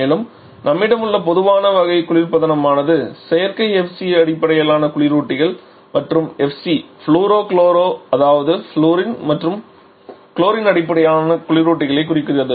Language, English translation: Tamil, And the most common type of refrigerant that we have is the synthetic FC based refrigerants and FC refers to fluoro chloro that is fluorine and chlorine based refrigerants